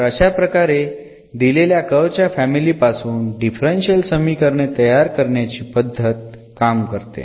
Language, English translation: Marathi, So, that is the how the formation works of this differential equations from a given family of curves